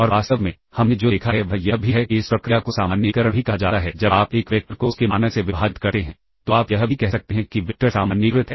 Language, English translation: Hindi, In fact, what we have seen is and this is also this process also termed as normalization that is, when you divide a vector by it is norm you can also say that the vector is normalized